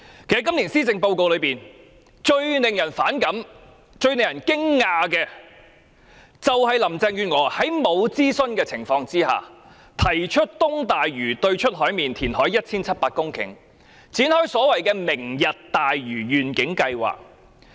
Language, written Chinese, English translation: Cantonese, 今年施政報告中，最令人反感和驚訝的是林鄭月娥在未經諮詢的情況下，提出在東大嶼山對出海面填海 1,700 公頃，展開所謂"明日大嶼願景"的計劃。, In this years Policy Address it is most antagonizing and astonishing that Carrie LAM has without consultation proposed to reclaim 1 700 hectares of land in waters off East Lantau for launching the so - called Lantau Tomorrow Vision project